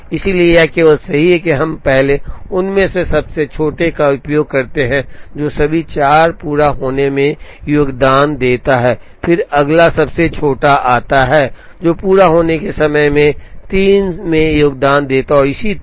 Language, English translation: Hindi, Therefore it is only correct that, we use the smallest of them first, which contributes in all the 4 completion times, then next smallest comes second, which contributes in 3 of the completion times and so on